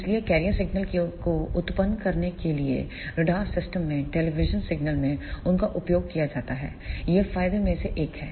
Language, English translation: Hindi, So, they are used in television signals in radar systems to generate the career signals, this is one of the advantage